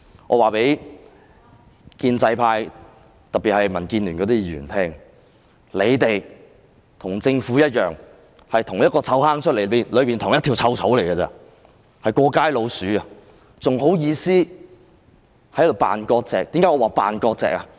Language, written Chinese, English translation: Cantonese, 我要告訴建制派，特別是民建聯的議員，你們與政府一樣，是同一個臭罌的同一條臭草，是"過街老鼠"，還有顏臉在這裏扮割席？, I wish to tell the pro - establishment camp in particular Members of DAB that just like the Government you are also foul grass growing out of the same foul ditch and rats dashing through the streets and you still have the brazeness to pretend to have severed ties here?